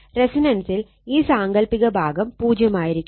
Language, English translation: Malayalam, And at resonance this imaginary part will be 0 right